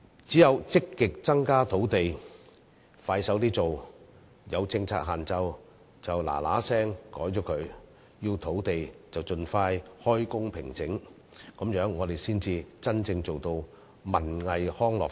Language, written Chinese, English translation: Cantonese, 只有積極增加土地，加快落實推行，有政策限制便盡快修改，需要土地便盡快平整，這樣我們才真正做到發展文藝康樂。, Only if we actively create more land sites and expeditiously implement the policy modify the policy constraints and conduct site levelling work can we really develop culture arts recreation and sports